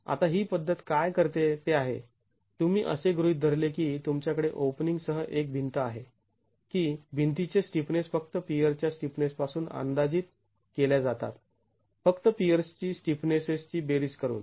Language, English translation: Marathi, Now, what this method does is you assume you have a wall with openings that the stiffness of the wall is estimated merely from the stiffnesses of the peers by just simply adding up the stiffnesses of the peers